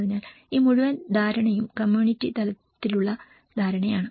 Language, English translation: Malayalam, So, this whole understanding the community level understanding